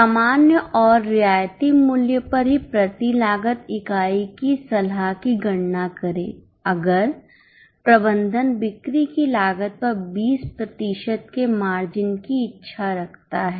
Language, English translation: Hindi, Also compute cost per unit, advise on the normal and concessional price if management desires a margin of 20% on cost of sales